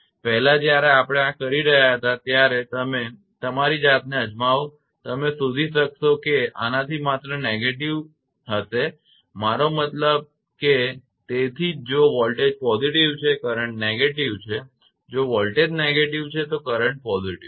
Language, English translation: Gujarati, The previously when we were doing this just you try yourself you will find it will be just negative of this I mean that that is why if voltage is positive, current is negative, if voltage is negative, current is positive